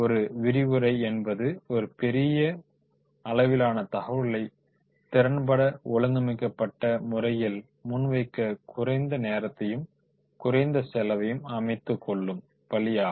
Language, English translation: Tamil, A lecture is one of the least expensive, least time consuming ways to present a large amount of information efficiently in an organized manner